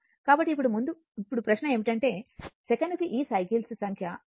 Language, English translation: Telugu, So, now question is that your this number of cycles per second that is f